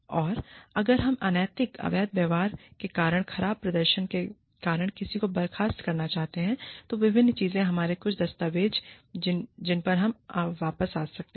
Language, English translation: Hindi, And, if we want to dismiss somebody, because of poor performance, because of unethical, illegal behavior, various things, we have some documentation, that we can, fall back upon